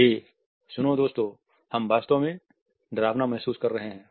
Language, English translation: Hindi, Hey, listen guys we feel really terrible